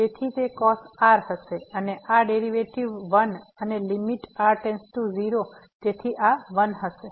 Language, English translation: Gujarati, So, that will be cos and this derivative 1 and limit goes to 0, so this will be 1